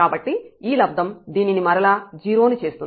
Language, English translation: Telugu, So, we will get this again as 0